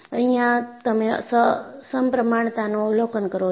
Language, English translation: Gujarati, You know, you observe symmetry